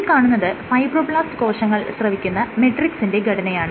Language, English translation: Malayalam, So, this shows the Matrix, which is secreted by fibroblasts